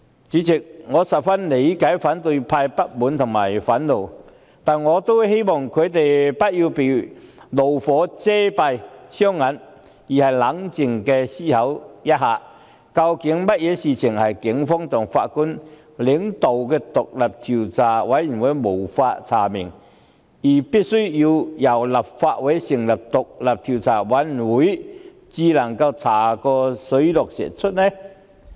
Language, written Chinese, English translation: Cantonese, 主席，我十分理解反對派的不滿及憤怒，但我希望他們不要被怒火遮蔽雙眼，而應冷靜思考一下，究竟有甚麼事情是警方及前法官領導的調查委員會也無法查明，而必須由立法會成立的專責委員會才能查個水落石出的？, President I fully understand the dissatisfaction and rage of the opposition camp but I hope they will not be blinded by anger . Instead they should ponder calmly over what cannot be found out by the Police and the Commission chaired by a former judge but only by a select committee of a Legislative Council?